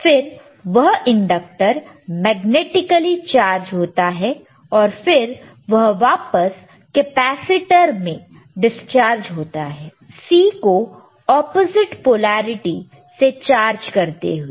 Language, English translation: Hindi, Then the inductor is magnetically chargesd and then it dischargess back into the capacitor, chargeing it in the opposite polarity right